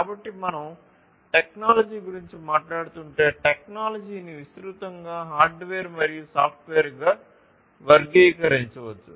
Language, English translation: Telugu, So, if we are talking about technology we let us say, technology broadly can be classified as hardware and software